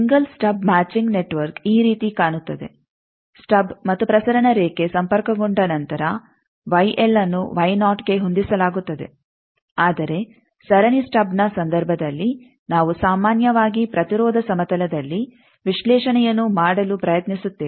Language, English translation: Kannada, Single stub matching network will look like this that Y l is matched to Y naught after the stub and the transmission line is connected whereas, in case of the series stub generally we try to do the analysis in the impedance plane